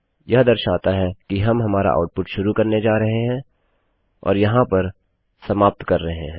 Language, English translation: Hindi, This shows that were going to start our output and this here will show that were ending our output